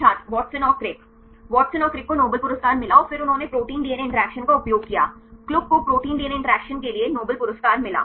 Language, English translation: Hindi, Watson and Crick Watson and Crick got Nobel Prize and then they used protein DNA interactions Klug got the Nobel Prize for the protein DNA interactions